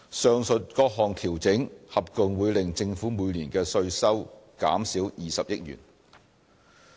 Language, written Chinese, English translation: Cantonese, 上述各項調整合共會令政府每年的稅收減少20億元。, The above adjustments will together reduce tax revenue by 2 billion each year